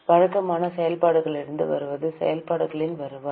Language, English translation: Tamil, What is coming from regular operations is revenue from operations